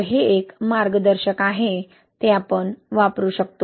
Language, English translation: Marathi, So, this is a guide, right, you can use it